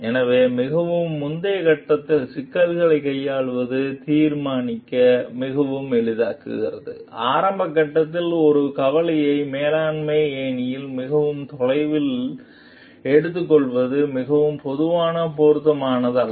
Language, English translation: Tamil, So, because like dealing with the problem at a very earlier stage is it makes it very easy to solve, and at an early stage it is not very usually appropriate to take one concerns very far up the management ladder